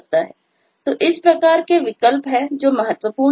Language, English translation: Hindi, so there are different choices